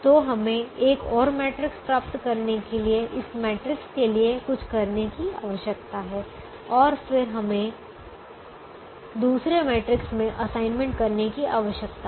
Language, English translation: Hindi, so we need to do something to this matrix, to get another matrix, and then we need to make assignments in the other matrix